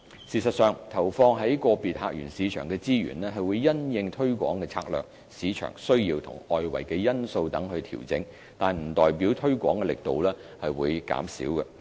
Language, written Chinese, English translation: Cantonese, 事實上，投放於個別客源市場的資源，會因應推廣策略、市場需要及外圍因素等調整，但不代表推廣力度會減少。, In fact the budget allocated in each source market will be adjusted according to tourism strategies market demands and external environment . However it does not represent a reduction of promotion efforts